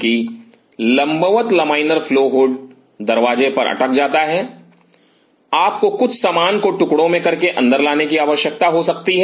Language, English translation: Hindi, That the vertical a laminar flow hood get stuck up at the door and you may needed dismantle certain stuff and bring it in